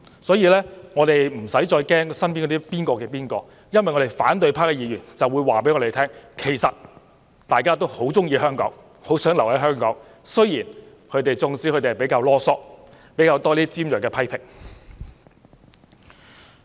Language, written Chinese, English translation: Cantonese, 所以，我們不用為某某身邊的某某而擔憂，因為反對派議員以行動告訴我們，其實大家都很喜歡香港，很想留在香港，儘管他們比較嘮叨及提出較多尖銳批評。, Hence there is no need for us to worry about a certain acquaintance around a certain person because despite their nagging and harsh criticisms Members of the opposition camp have shown us with actions their love for Hong Kong and their desire to stay in Hong Kong